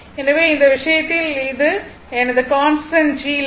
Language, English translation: Tamil, So, in this case your this is my your constantthis is my constant G line